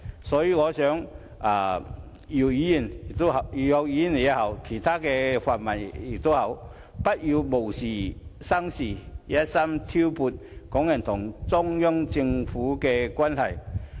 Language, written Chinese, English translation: Cantonese, 所以，我希望姚議員或其他泛民議員不要無事生事，存心挑撥港人與中央政府之間的關係。, Therefore I hope that Dr YIM or other pan - democratic Members will stop causing trouble in a bid to disrupt the relations between the people of Hong Kong and the Central Government